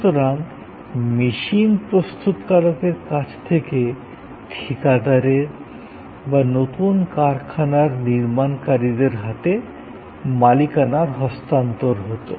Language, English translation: Bengali, So, there was a transfer of ownership from the machine manufacturer to the contractor or to the factory system constructing the new plant